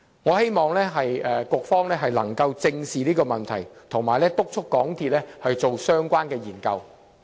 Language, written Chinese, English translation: Cantonese, 我希望局方能夠正視這個問題，並且督促港鐵進行相關研究。, I hope the Bureau can address this issue squarely and urge MTRCL to undertake relevant studies